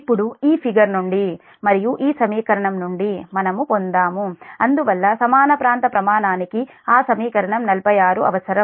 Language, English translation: Telugu, now, from this figure only and this equation, we have derived that therefore the equal area criterion requires that equation forty six